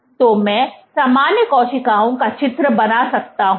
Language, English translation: Hindi, So, similar cells I can draw the cells